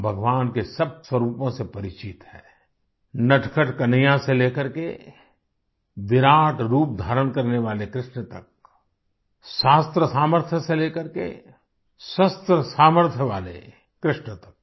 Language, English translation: Hindi, We are familiar with all the forms of Bhagwan, from naughty Kanhaiya to the one taking Colossal form Krishna, from the one well versed in scriptures to one skilled in weaponary